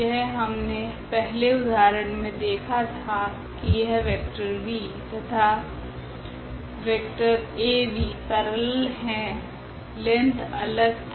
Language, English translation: Hindi, This is what we have seen in previous example that this vector v and the vector Av they were just the parallel, the length was different